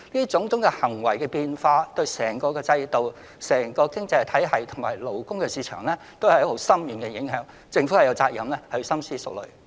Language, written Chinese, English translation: Cantonese, 種種變化對整個制度、經濟體系及勞工市場的影響深遠，政府有責任深思熟慮。, As every change may carry far - reaching implications for the whole system economy and labour market the Government has to think carefully